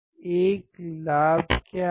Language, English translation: Hindi, What is a gain